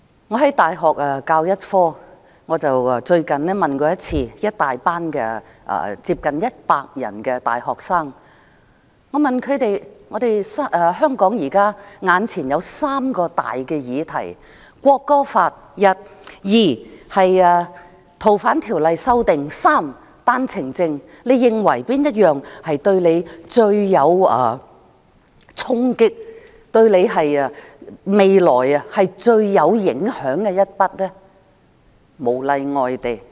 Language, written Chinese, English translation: Cantonese, 我在大學教一個科目，最近我問一班接近100人的大學生："香港現時有3個大議題：《國歌法》、《逃犯條例》的修訂，以及單程證。你認為哪一項對你衝擊最大，對你未來最有影響呢？, I teach a subject at university . Recently I asked a class of nearly 100 students Among the three current major issues in Hong Kong namely the National Anthem Bill the amendments to the Fugitive Offenders Ordinance and OWPs which one do you think hits you the hardest and has the most impact on your future?